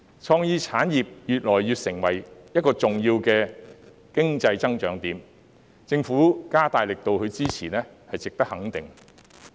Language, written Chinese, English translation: Cantonese, 創意產業已成為一個越趨重要的經濟增長點，政府加大力度支持是值得肯定的。, Creative industries have become an increasingly important economic growth point the Governments enhanced support for the industries deserves recognition